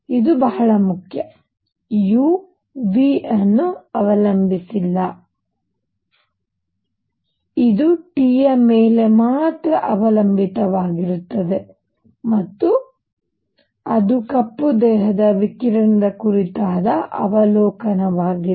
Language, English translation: Kannada, This is very important, U does not depend on V or anything, it depends only on T and that is that is the observation about black body radiation